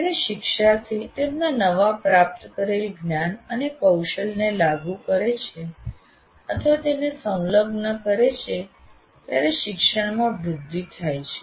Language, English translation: Gujarati, Then learning is promoted when learners apply or engage with their newly required, acquired knowledge and skill